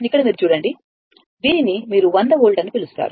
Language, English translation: Telugu, Here you look, it is your what you call this your this is 100 volt, right